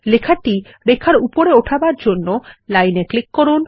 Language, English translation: Bengali, To move the text above the line, click on the line